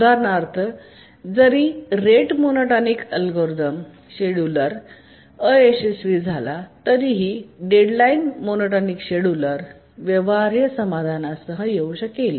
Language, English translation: Marathi, For example, even when the rate monotonic scheduler fails, the deadline monotonic scheduler may come up with a feasible solution